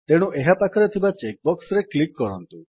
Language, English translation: Odia, So click on the check box against it